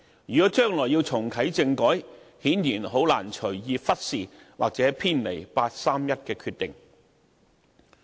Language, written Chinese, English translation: Cantonese, 如果將來要重啟政改，顯然很難隨意忽視或偏離八三一決定。, If the constitutional reform is to be reactivated in the future we obviously cannot ignore or deviate from the 31 August Decision